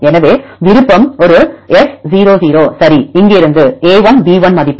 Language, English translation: Tamil, So, option one S 0 0 ok from here weight of a1, b1